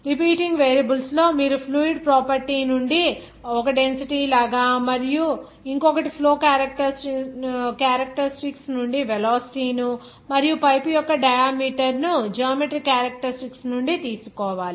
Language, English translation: Telugu, That repeating variable, you have to take 1 from the fluid property like density one from flow characteristics like velocity and one from geometry characteristics like the diameter of the pipe